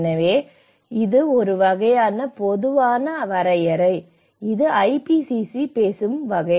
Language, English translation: Tamil, So, this is a kind of generic definition which IPCC talks about